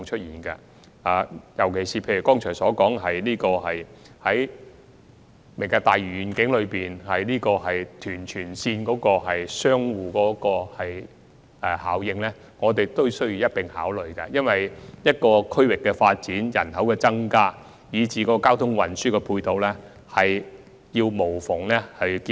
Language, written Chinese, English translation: Cantonese, 尤其是剛才所說的"明日大嶼願景"與屯荃鐵路的相互效應，也需要一併考慮，因為一個區域的發展、人口增加，以至交通運輸配套，有需要作出無縫的結合。, In particular with regard to the Lantau Tomorrow Vision mentioned just now and the Tuen Mun - Tsuen Wan Link the mutual effects they will create on one and the other should be considered in parallel because there is a need to achieve seamless integration of the development of a district with its population growth and ancillary transport facilities